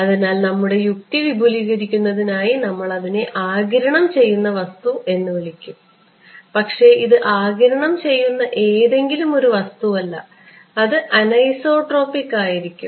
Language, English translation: Malayalam, So, one of them is going to be what is called as extending our logic we will call it an absorbing material ok, but not just any absorbing material that material will turn out to be anisotropic